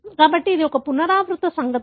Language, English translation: Telugu, So, therefore it is a recurrent event